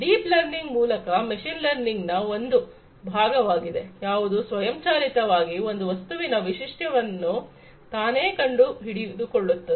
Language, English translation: Kannada, Deep learning, basically, is a subset of machine learning, which can learn automatically by finding the features of the object on its own